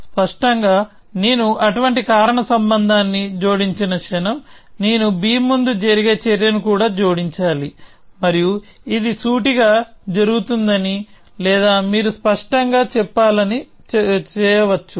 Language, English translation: Telugu, So, obviously, the moment I add such a causal link, I must also add an action that a happen before b and you can say that this either happens implicitly or you must do it explicitly